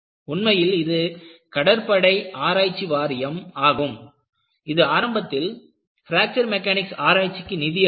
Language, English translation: Tamil, In fact, it is the naval research board, which funded fracture mechanic research initiate